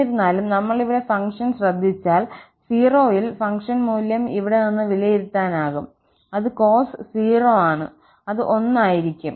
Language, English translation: Malayalam, However, if we note here the function, the function value at 0 can be evaluated from here, that is cos 0 and that is going to be 1